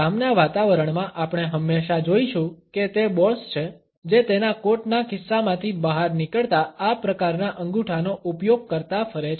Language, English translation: Gujarati, In a work environment we would always find that it is the boss, who moves around using these type of thumbs, protruding from his coat pocket